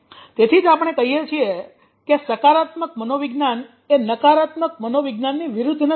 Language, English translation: Gujarati, so that is why we say that positive psychology is not just the opposite of negative psychology so that means what is not right